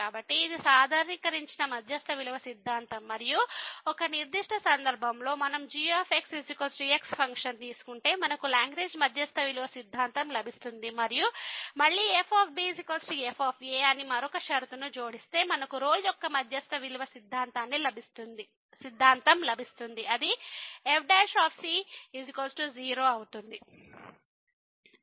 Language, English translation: Telugu, So, this is the generalized mean value theorem and as a particular case if we take the function is equal to we will get the Lagrange mean value theorem and again if we add another condition that is equal to we will get the Rolle’s mean value theorem which is prime is equal to